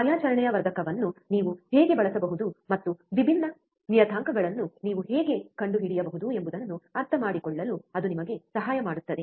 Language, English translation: Kannada, That will help you understand how you can use the operational amplifier and how you can find different parameters